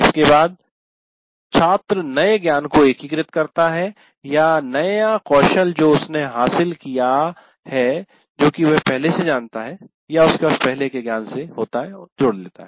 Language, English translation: Hindi, And then having done that, the student integrates the new knowledge or new skill that he has acquired with what he already knows